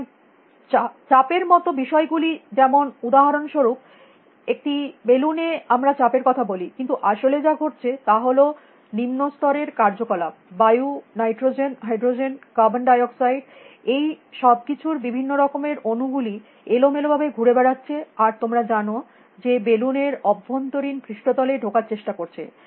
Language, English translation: Bengali, So, things like pressure, for example, in a balloon, we talk of pressure, but what is really happening that lower level activities you know molecules of different kinds of molecules in air, nitrogen, hydrogen, carbon dioxide, everything; they are moving around randomly and you know impinging upon the inner surface of the balloon